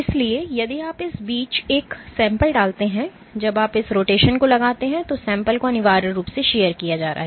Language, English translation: Hindi, So, if you put a sample in between when you exert this rotation the sample is essentially being sheared